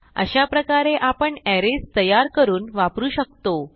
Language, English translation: Marathi, This way, arrays can be created and used